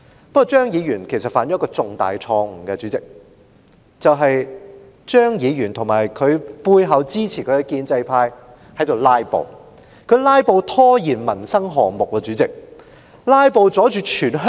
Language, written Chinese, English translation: Cantonese, 不過，主席，張議員其實犯了一個重大錯誤：張議員及在其背後支持他的建制派都在"拉布"，於是他們窒礙了民生項目的審批。, But then President Mr CHEUNG in fact made a huge mistake together with the pro - establishment camp behind him he filibustered and hence delayed the vetting and approval of livelihood - related projects